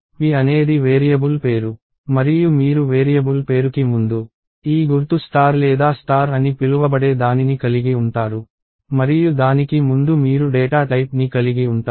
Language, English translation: Telugu, You precede the name, so p is the variable name and you precede a variable name by this mark called asterisk (*) or a star right and before that you have the data type